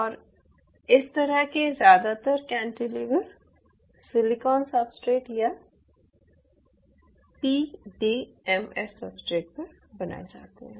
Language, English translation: Hindi, and most of these kind of cantilevers are made on silicon substrate or they are made on pdml substrate